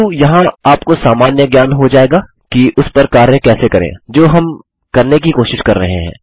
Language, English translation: Hindi, But you will get the general idea here on how to work on what we are trying to do